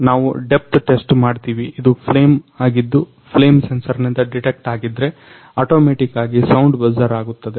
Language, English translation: Kannada, Now we are test the depth if there it is a flame which detect by the flame sensor and automatically they buzzer the sound